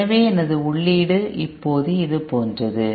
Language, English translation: Tamil, Therefore my input is now like this